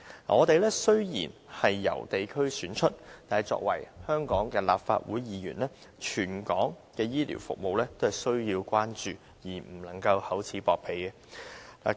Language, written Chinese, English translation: Cantonese, 我們雖然由地區選出，但作為香港的立法會議員，全港的醫療服務也需要關注，不能夠厚此薄彼。, Although we are returned by geographical constituencies we as Legislative Council Members must also be concerned about the territory - wide healthcare services and refrain from favouring one district and discriminating against others